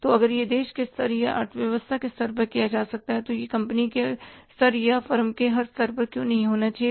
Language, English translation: Hindi, So, if it can be done at the country level or the economy level, then why it should not be at a company level or a firm level